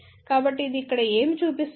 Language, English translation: Telugu, So, what it shows over here